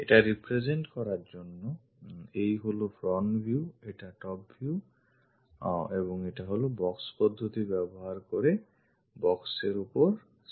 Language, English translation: Bengali, To represents this is the front view, this is the top view and this is the side view on the box using box method